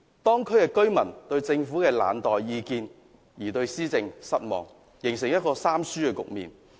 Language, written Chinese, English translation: Cantonese, 當區居民面對政府冷待意見，對施政感到失望，形成一個"三輸"的局面。, When the affected residents find that the Government has turned a cold shoulder to their views they are disappointed with the governance resulted in an all - loss situation